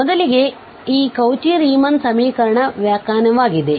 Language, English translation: Kannada, So, first this is just the definition of the Cauchy Riemann equation